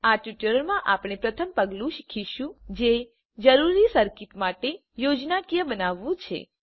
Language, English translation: Gujarati, In this tutorial we will learn first step, that is, Creating a schematic for the desired circuit